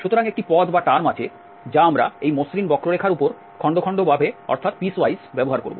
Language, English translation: Bengali, So, there is a term which we will be also using the piecewise is smooth curve